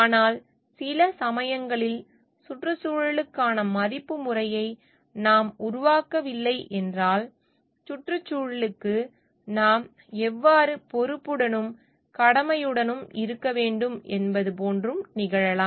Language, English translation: Tamil, But in sometimes it may so happened like if we are not developing a value system towards the environment, and how we should be responsible and dutiful towards the environmental at large